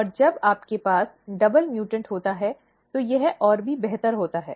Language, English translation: Hindi, And when you have double mutant, it is even further improved